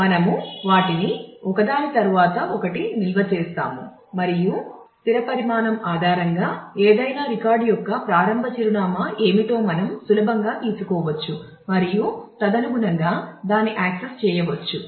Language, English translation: Telugu, So, we store them one after the other and based on the fixed size, we can easily know what is the starting address of any record and we can access it accordingly